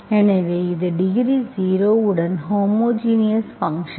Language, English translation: Tamil, So this is the homogeneous function of degree zero